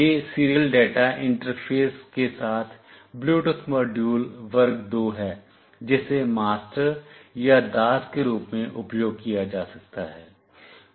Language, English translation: Hindi, It is a class 2 Bluetooth module with serial data interface that can be used as either master or slave